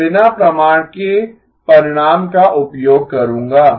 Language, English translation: Hindi, I will use the result without proof